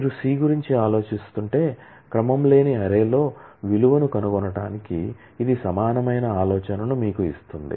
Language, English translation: Telugu, But just to give you the idea that this is similar to finding out a value in an unordered array if you are thinking of C